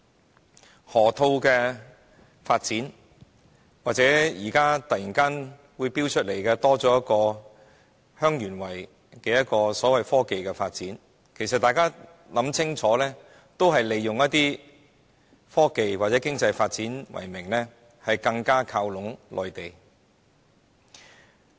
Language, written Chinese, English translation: Cantonese, 無論是河套發展或忽然提出的香園圍創科發展計劃，大家只要細心想清楚，便可發現都是以科技或經濟發展為名，更加靠攏內地。, If we do some serious thinking we will realize that the development of the Loop or the innovation and technology development plan suddenly put forward for Heung Yuen Wai are just attempts to move closer to the Mainland in the name of technology or economic development